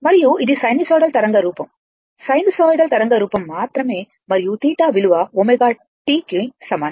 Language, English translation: Telugu, And this is a sinusoidal waveform you only sinusoidal waveform and theta is equal to omega t right